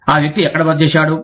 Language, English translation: Telugu, Where did the person stay